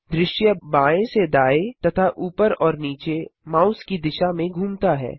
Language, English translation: Hindi, The view rotates left to right and vice versa